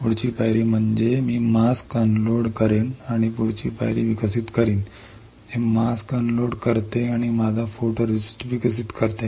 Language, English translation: Marathi, Next step is I will unload the mask and develop the next step, which is unload the mask and develop my photoresist